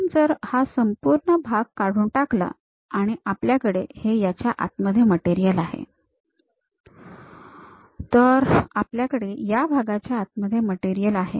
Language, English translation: Marathi, If we remove this entire part; then we have material within that portion